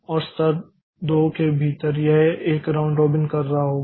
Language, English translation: Hindi, And within level two so it will be doing a round robin